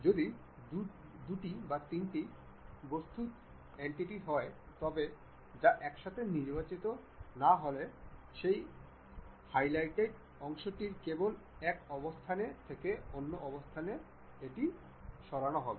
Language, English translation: Bengali, If two three individual entities, if they are not selected together, only one of that highlighted portion will be moved from one location to other location